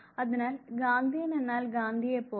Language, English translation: Malayalam, So, Gandhian would mean now Gandhi like